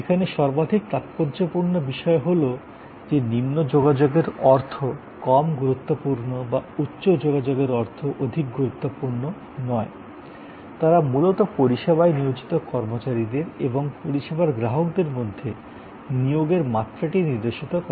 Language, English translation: Bengali, So, most important is that low contact does not mean low importance or high contact does not necessarily mean high importance, they are basically signifying the level of engagement between the service personal and this service consumer